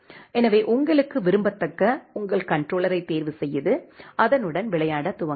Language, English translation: Tamil, So, you can choose your controller which is preferable to you and start playing with that